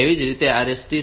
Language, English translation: Gujarati, Similarly RST 6